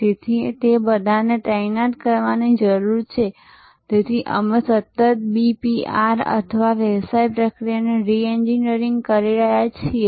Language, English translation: Gujarati, So, all those need to be deployed, so that we are constantly doing this BPR or Business Process Reengineering